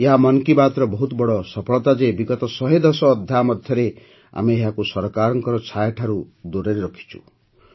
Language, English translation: Odia, It is a huge success of 'Mann Ki Baat' that in the last 110 episodes, we have kept it away from even the shadow of the government